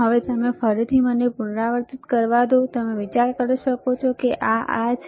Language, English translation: Gujarati, Now you again, let me reiterate that you may think that this is this